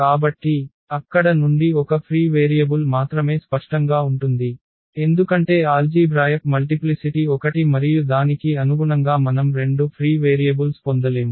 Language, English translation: Telugu, So, there will be only one free variable which was clear from there also because the algebraic multiplicity was one and corresponding to that we cannot get two free variables